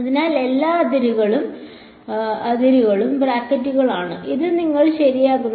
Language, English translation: Malayalam, So, all the boundaries are brackets after this is what I get ok